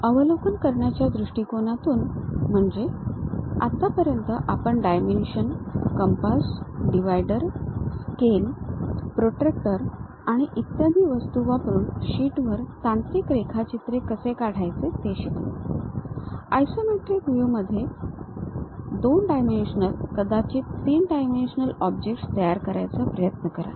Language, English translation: Marathi, In terms of overview; so, till now we have learnt how to draw technical drawing on sheets using dimensions, compass, dividers, scales, protractor and other objects we have used; try to construct two dimensional and perhaps three dimensional objects in isometric views